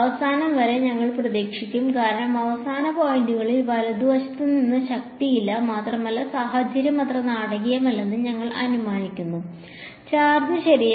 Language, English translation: Malayalam, We would expect towards the ends because, on the end points there is no force from the other side right and we are assuming that the situation is not so dramatic that the charge jumps off the thing right